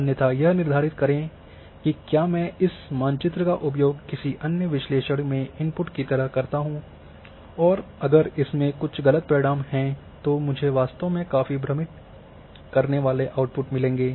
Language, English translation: Hindi, Otherwise, determine if I use this map as input insert some other analysis and it is carrying wrong result then I will end up with a really confusing outputs